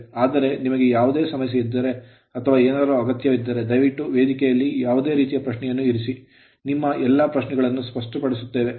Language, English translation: Kannada, But if you have that any problem anything you please put any sort of thing please put the question in the forum we will clarify all your all your queries right